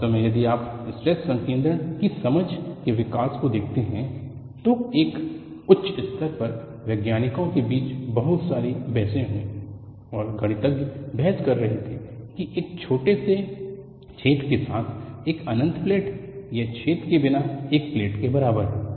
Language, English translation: Hindi, In fact, if you look at the evolution of understanding of stress concentration, there were very many debates between scientist of all order, and mathematicians were arguing an infinite platewith a small hole is equivalent to a plate without a hole